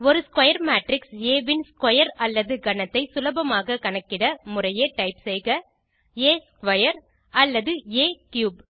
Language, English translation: Tamil, Square or cube of a square matrix A can be calculated by simply typing A square or A cube respectively